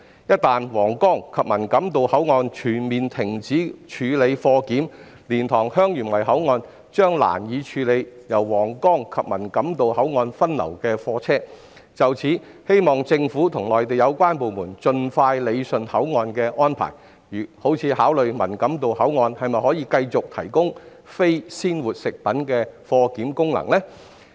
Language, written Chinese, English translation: Cantonese, 一旦皇崗及文錦渡口岸全面停止處理貨檢，蓮塘/香園圍口岸將難以處理由皇崗及文錦渡口岸分流的貨車，希望政府與內地有關部門盡快理順口岸安排，例如，當局應考慮文錦渡口岸是否可以繼續提供非鮮活食品貨檢功能。, Once cargo inspection is completely ceased at Huanggang and Man Kam To control points it will be difficult for LiantangHeung Yuen Wai ports to cope with goods vehicles diverted from Huanggang and Man Kam To control points . It is hoped that the Government and the relevant Mainland authorities will expeditiously rationalize the arrangements of the control points for example the authorities should consider whether the Man Kam To Control Point can continue to perform the function of cargo clearance for non - fresh food